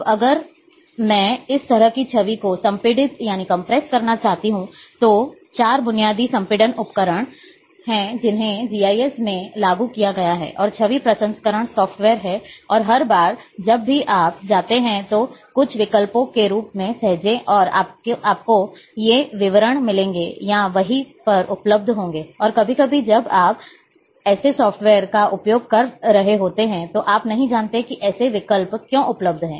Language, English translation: Hindi, Now if I want to compress this kind of image, then there are 4 basic compression tools, which, which have been implemented into GIS, and image processing softwares, and a every time whenever you go, save as, and some options, you will find these details are available, and sometimes when you are using such software, you do not know why, why such options are available